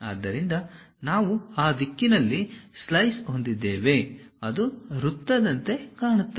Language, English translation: Kannada, So, we are having a slice in that direction, it looks like circle